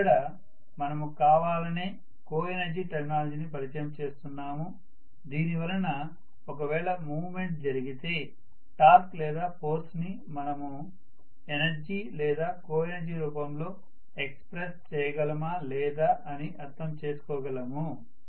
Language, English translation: Telugu, So we are deliberately introducing the terminology of coenergy so that we will be able to understand further a movement takes place will we be able to express force or torque in terms of coenergy or energy